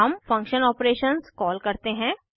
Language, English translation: Hindi, Now we call the function operations